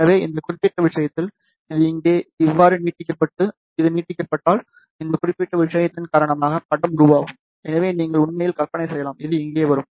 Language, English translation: Tamil, So, in that particular case, if this is extended like this here and this one is extended, you can actually imagine that image will be formed because of this particular thing, which will come over here